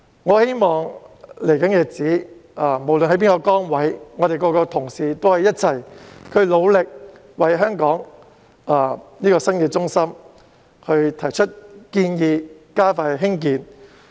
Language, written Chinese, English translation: Cantonese, 我希望在未來的日子裏，不論各位擔當甚麼崗位，亦可以一同努力，為香港這個新中心提出建議，加快興建。, I hope that regardless of our respective positions we can join hands with one another in the days ahead and put forth recommendations on this new centre of Hong Kong so as to expedite its development